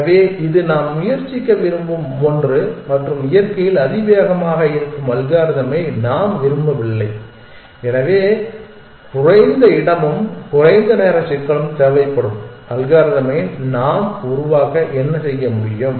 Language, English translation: Tamil, So, this is something that we want to try and that we do not want algorithm which are exponential in nature, so what can we do to devise algorithm which will require lesser space and lesser time complexity